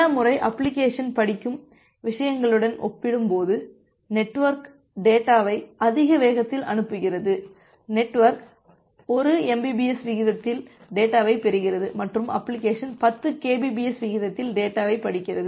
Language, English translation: Tamil, Many of the times, it may happen that will the network is sending the data at a more higher speed compared to what the application is reading, say may be the network is receiving data at a rate of some 1 Mbps and the application is reading the data at the rate 10 Kbps